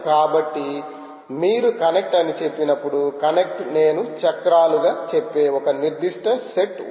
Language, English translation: Telugu, so when you say connect, connect will have a certain set of what i shall say wheels, right, so very interesting set of wheels